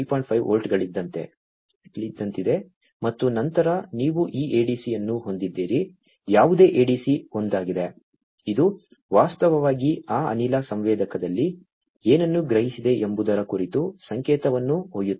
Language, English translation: Kannada, 5 volts, and then you have this ADC right any ADC is the one, which is actually carrying the signal about what has been sensed in that gas sensor